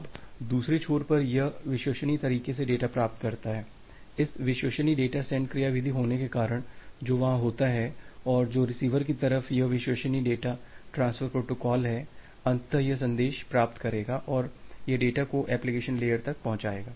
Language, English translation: Hindi, Now, at the other end it receives the data in a reliable way because of this reliable data send mechanism which is there and this reliable data transfer protocol at the receiver side, eventually it will receive the message and it will deliver the data to the application layer